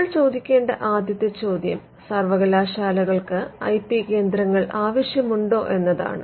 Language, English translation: Malayalam, Now, the first question that we need to ask is whether universities need IP centres